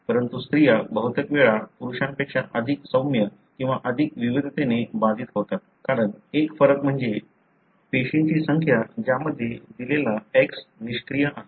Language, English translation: Marathi, But, females are often more mildly or more variably affected than males, because of a difference that is the number of cells in which a given X is inactive